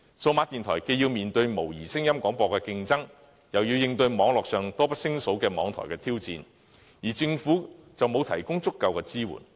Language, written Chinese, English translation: Cantonese, 數碼電台既要面對模擬聲音廣播的競爭，又要應對網絡上多不勝數的網台挑戰，政府且沒有提供足夠支援。, Facing competition and challenges from both analogue audio broadcasters and numerous online radio stations DAB stations which suffer from inadequate governmental support can hardly stand on their own